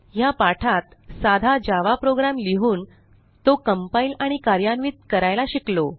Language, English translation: Marathi, So in this tutorial, we have learnt to write, compile and run a simple java program